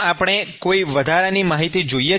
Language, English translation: Gujarati, Do we need some additional information